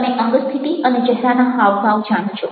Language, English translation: Gujarati, ok, postures and facial expressions